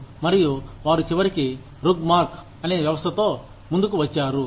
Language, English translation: Telugu, And, they eventually came up with a system called, RUGMARK